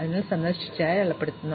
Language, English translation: Malayalam, So, we mark it as visited